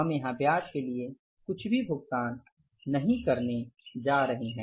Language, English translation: Hindi, So we are not going to pay anything for the interest here